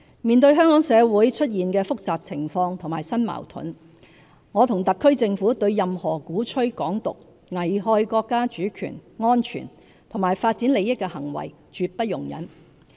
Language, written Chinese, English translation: Cantonese, 面對香港社會出現的複雜情況和新矛盾，我和特區政府對任何鼓吹"港獨"，危害國家主權、安全及發展利益的行為絕不容忍。, In face of the complex situations and new conflicts emerged in Hong Kong society the HKSAR Government and I will not tolerate any acts that advocate Hong Kongs independence and threatens the countrys sovereignty security and development interests